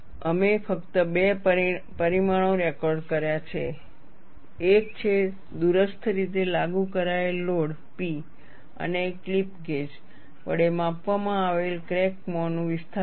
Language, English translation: Gujarati, We have recorded only two parameters; one is the remotely applied load P and the displacement of the crack mouth, measured with a clip gauge